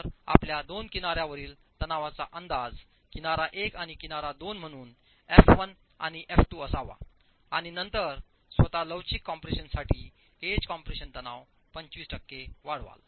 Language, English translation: Marathi, So your two edge compression have to be estimated, edge 1 and H2 as F1 and F2, and then you increase the edge compressive stress by 25% to account for flexual compression itself